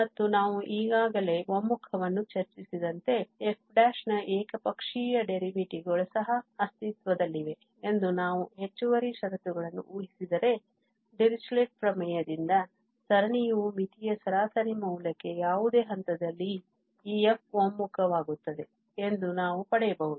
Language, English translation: Kannada, And the convergence as we have already discussed, if we assume additional conditions on f prime that the one sided derivatives of f prime also exists, then we can get from the Dirichlet's theorem that the series also converges to that the average value of the limit of this f prime at any point